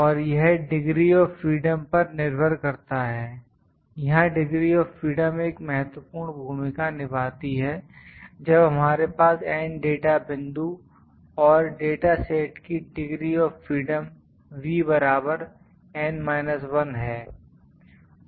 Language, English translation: Hindi, And it depends upon the degrees of freedom, degrees of freedom plays a great role here degrees of freedom is actually when we have N data points and data sets degrees of freedom is equal to V is equal to N minus 1